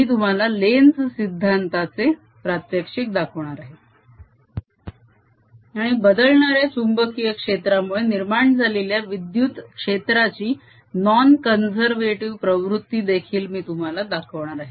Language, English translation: Marathi, i'll show you demonstration of lenz's law and i'll also show you the non conservative nature of electric field produced by a changing magnetic field